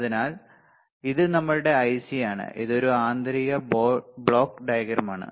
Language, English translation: Malayalam, So, this is our IC this is a internal block diagram